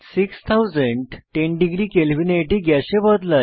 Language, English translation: Bengali, At 6010 degree Kelvin all the elements change to gaseous state